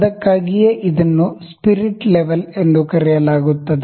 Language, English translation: Kannada, That is why it is known as spirit level